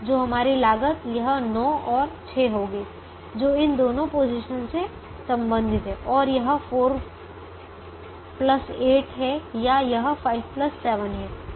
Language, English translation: Hindi, so our cost would be this nine and this six, corresponding to these two positions, and it is either four plus eight, or it is five plus seven